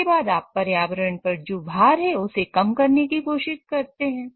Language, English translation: Hindi, Then you also try to minimize whatever is the burden on the environmental system